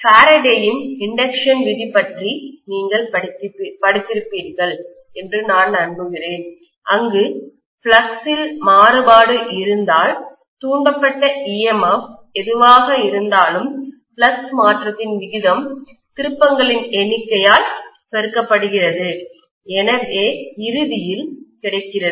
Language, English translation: Tamil, I am sure you guys have studied about Faraday’s law of induction where if I have a variation in the flux, the rate of change of flux multiplied by the number of turns actually gives me ultimately whatever is the EMF induced